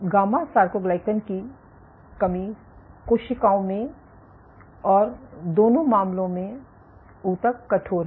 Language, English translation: Hindi, In gamma soarcoglycan deficient cells and in both the cases the tissue is stiffer